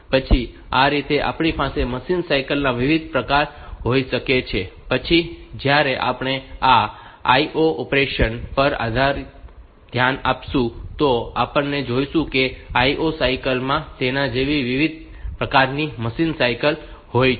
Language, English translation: Gujarati, Then we can have different types of machine cycle, then when we look into this I O operation, then we will see that I O cycle there are different type of machine cycles like that